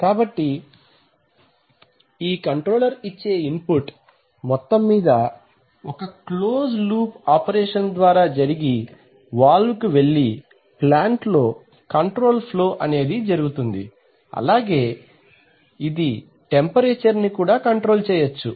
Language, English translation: Telugu, So this controller will give input, so this is a total closed loop operated valve actuator which will control flow in the plant, which in turn may control temperature whatever